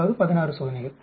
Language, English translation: Tamil, That means 8 experiments